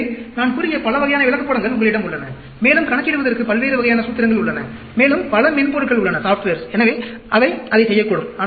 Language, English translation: Tamil, So, you have so many different types of charts which is talked about, and there are different types of formulae to calculate, and there are many soft wares which can do that also